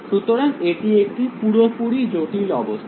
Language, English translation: Bengali, So, it is fully complicated situation